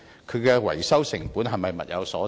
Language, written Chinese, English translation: Cantonese, 其維修成本是否物有所值？, Is the maintenance costs concerned value - for - money?